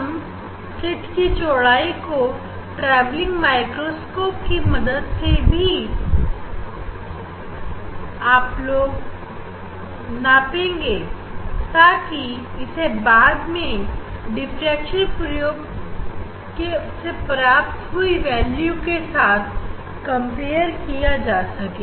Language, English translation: Hindi, And, then the we will measure slit width using the travelling microscope for comparison whatever the experimental we have measured from diffraction experiment